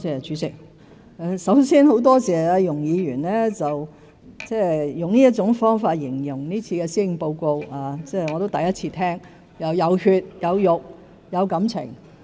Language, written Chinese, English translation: Cantonese, 主席，首先，很多謝容議員用這種方法形容這份施政報告，我亦是第一次聽到"有血有肉"、"有感情"。, President first of all I am very grateful to Ms YUNG for describing the Policy Address in such a way . This is the first time I have ever heard of it being described as one with flesh and blood and with feelings